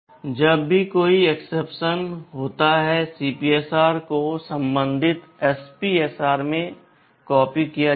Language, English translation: Hindi, Whenever any exception occurs, the CPSR will be copied into the corresponding SPSR